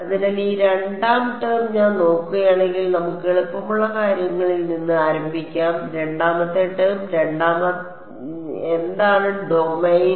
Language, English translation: Malayalam, So, this second term if I look at let us start with the easy thing the second term the second term W m x what is the domain of W m x